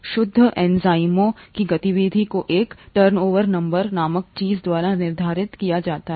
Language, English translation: Hindi, The activity of pure enzymes can be quantified by something called a turnover number